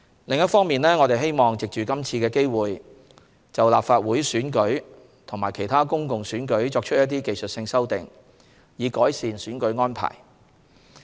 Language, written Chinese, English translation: Cantonese, 另一方面，我們希望藉今次機會就立法會選舉及其他公共選舉作出一些技術性修訂，以改善選舉安排。, On the other hand we hope to take this opportunity to make some technical amendments in respect of the Legislative Council Election and other public elections with a view to improving the electoral arrangements